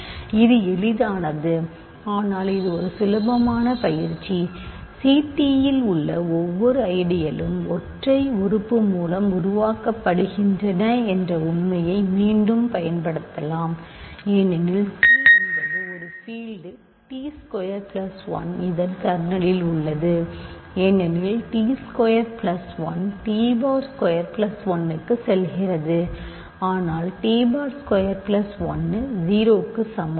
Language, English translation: Tamil, But again use the fact that every element every ideals in C t is generated by single element because C is a field t squared plus 1 is in the kernel of this because t squared plus 1 goes to t bar squared plus 1, but t bar squared plus 1 is 0 ok